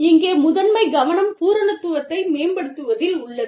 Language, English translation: Tamil, And, the primary focus here is on, leveraging complementarity